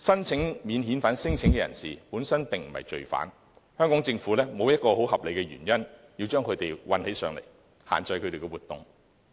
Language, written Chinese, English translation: Cantonese, 此外，免遣返聲請申請人本身不是罪犯，香港政府沒有合理理由把他們關起來，限制他們的活動。, Moreover non - refoulement claimants are not criminals and the Government have no justifiable reason to lock them up and restrict their activities